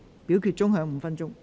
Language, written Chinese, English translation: Cantonese, 表決鐘會響5分鐘。, The division bell will ring for five minutes